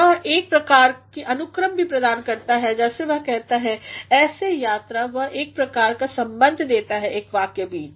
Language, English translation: Hindi, He also provides a sort of order as he says such tours he also provides a sort of connection between one sentence